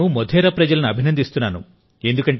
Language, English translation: Telugu, And my salutations to all the people of Modhera